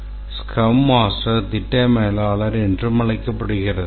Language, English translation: Tamil, The Scrum Master is also known as the project manager